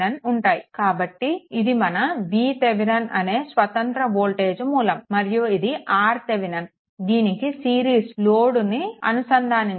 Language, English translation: Telugu, So, this is my v Thevenin that equivalent one this is my v Thevenin and R Thevenin with that you connect this load in series with that